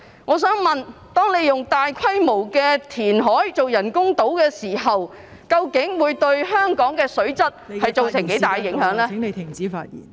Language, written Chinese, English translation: Cantonese, 我想問，當進行大規模填海以興建人工島的時候，究竟......會對香港的水質造成多大影響呢？, May I ask during large - scale reclamation for the construction of the artificial islands actually what grave impact will it have on the water quality in Hong Kong?